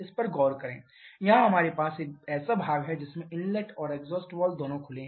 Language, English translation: Hindi, Look at this, here we have a span this one over which both inlet and exhaust valves are open